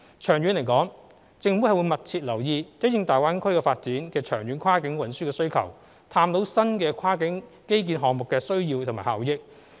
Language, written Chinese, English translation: Cantonese, 長遠而言，政府會密切留意因應大灣區發展的長遠跨境運輸需求，探討新的跨境基建項目的需要及效益。, In the long run the Government will closely monitor the long - term cross - boundary transport needs in view of the development of GBA and explore the needs for and benefits of new cross - boundary infrastructure projects